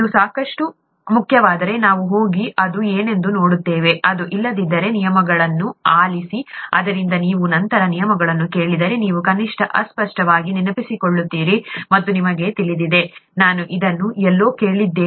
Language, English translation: Kannada, If it is important enough, we will go and see what it is; if it is not, just hear the terms so that if you hear the terms later, you will at least vaguely remember, and you know, I have kind of heard this somewhere